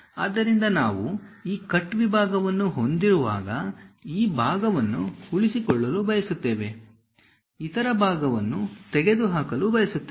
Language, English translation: Kannada, So, when we have that cut section; we would like to retain this part, remove this part